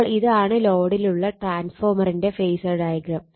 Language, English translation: Malayalam, So, so this is this phasor diagram the transfer on no load